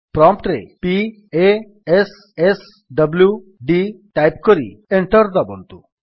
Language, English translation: Odia, Type at the prompt: p a s s w d and press Enter